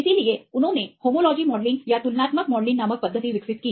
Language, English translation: Hindi, So, they developed the methodology called the homology modelling or comparative modelling